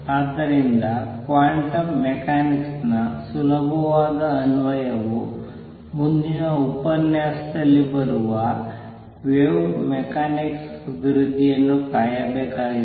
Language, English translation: Kannada, And therefore, the easy application of quantum mechanics had to wait the development of wave mechanics that will be covered in the next lecture onwards